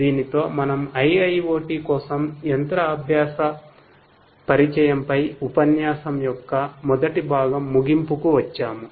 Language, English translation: Telugu, With this we come to an end of the first part of lecture on machine learning introduction for IIoT